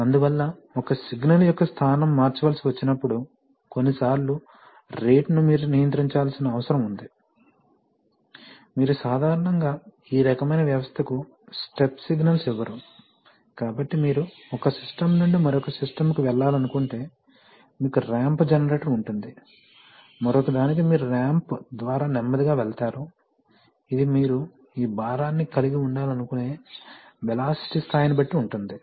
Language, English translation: Telugu, So therefore whenever a position signal has to be changed, sometimes you need to control the rate at which it should go, you never give step signals generally to this kind of system, so you have a ramp generator if you want to go from one system to another you go slowly through a ramp which depends on the velocity level that you want to have on this load